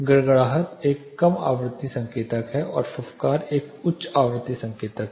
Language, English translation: Hindi, Rumble is a low frequency indicator and hiss is a high frequency indicator